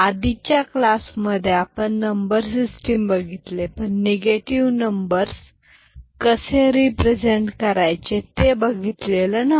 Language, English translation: Marathi, So, we had got introduced to number system in the previous class, but in that we did not discuss how to represent negative numbers